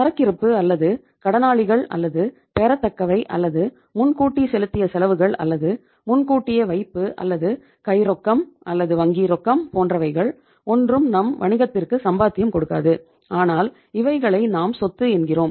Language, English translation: Tamil, But neither inventory nor debtors nor receivables nor prepaid expenses nor even advance deposits nor cash in hand or cash at bank earns anything any income for the business but we call these assets as the say all these items as assets